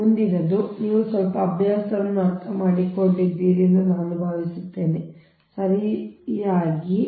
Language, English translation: Kannada, so next one is: i hope you have understood little bit practice is necessary, right